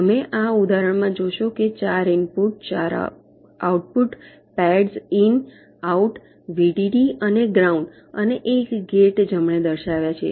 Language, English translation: Gujarati, you see, in this example i have shown four input output pads indicating in, out, vdd and ground, and one gate right